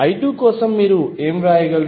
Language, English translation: Telugu, For I 2 what you can write